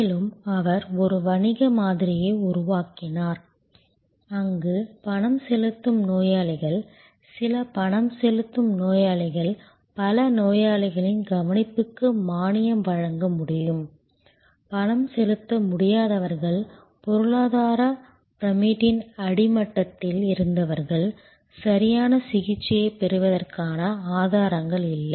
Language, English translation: Tamil, And he created a business model, where the paying patients, few paying patients could subsidize many patients care, who were unable to pay, who were at the bottom of the economy pyramid, they did not have the resources to get proper treatment